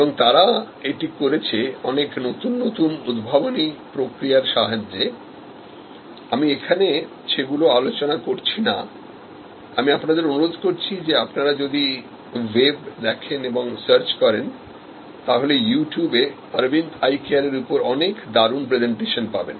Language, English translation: Bengali, And did it many of those many very innovatively, I am not discussing all of those, I would request you to look on the web and search you will find great presentations on You Tube and about this Aravind Eye Care